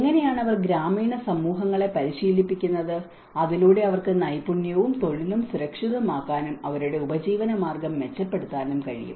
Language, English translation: Malayalam, How they train the rural communities so that they can also secure skill as well as the employment and they can enhance their livelihoods